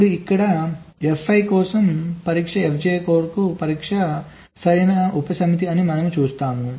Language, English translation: Telugu, here we see that the test for f i is a proper subset of the test for f j